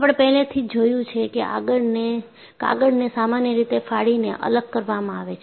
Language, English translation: Gujarati, And, we have already seen, paper is usually separated by a tearing action